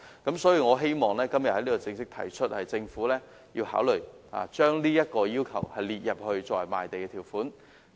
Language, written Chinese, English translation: Cantonese, 因此，我希望今天正式提出，政府必須考慮將這要求列為賣地的條款。, In this connection I would like to formally propose for the Governments consideration the inclusion of this requirement as a condition of land sale